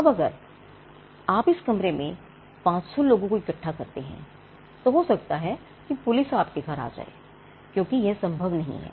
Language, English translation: Hindi, Now, if you try to put the 500 people into that room they could be police at your doorsteps because that is simply not possible